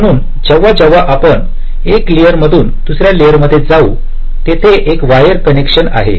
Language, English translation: Marathi, so whenever we switch from one layer to another layer, there is a wire connection